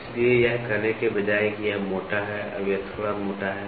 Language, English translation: Hindi, So, rather than saying it is rough, it is slightly rough now